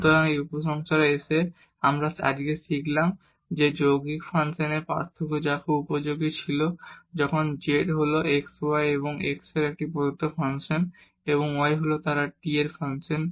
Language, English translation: Bengali, So, coming to the conclusion we have learn today the differentiation of composite functions which was very useful when z is a given function of x y and x is and y they are the function of t